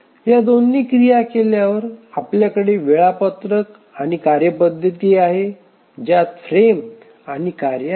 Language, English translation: Marathi, So, after doing both of these actions we will have the schedule table where we have the frames and the tasks